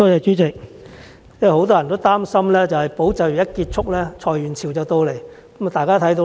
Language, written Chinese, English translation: Cantonese, 主席，很多人擔心"保就業"計劃一旦結束，裁員潮便出現。, President many people are worried that once ESS ends waves of redundancies will strike